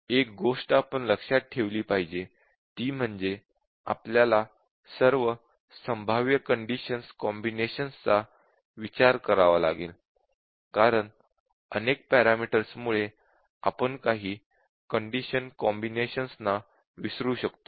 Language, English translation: Marathi, So, one thing we must remember I have told earlier that we have to consider all possible combinations of condition, because there is a chance that given many parameters we might miss out some combinations of conditions